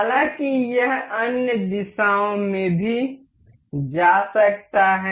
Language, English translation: Hindi, However, this can also move in other directions as well